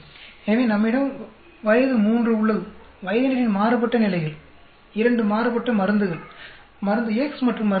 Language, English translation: Tamil, So, we have the age group coming three different levels of age group; two different drugs drug X and Y